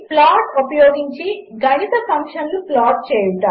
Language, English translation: Telugu, Plot mathematical functions using plot